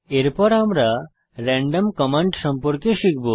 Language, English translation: Bengali, Next we will learn about random command